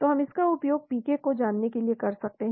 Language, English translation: Hindi, so we can use it for predicting PK